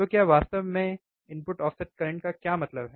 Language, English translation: Hindi, So, what exactly does input offset current means um